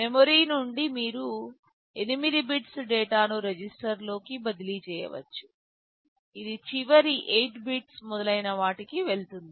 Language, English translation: Telugu, From memory you can transfer 8 bits of data into a register, it will go into the last 8 bits, etc